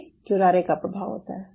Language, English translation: Hindi, this is the effect of curare